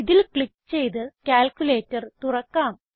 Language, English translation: Malayalam, Lets open the calculator by clicking on it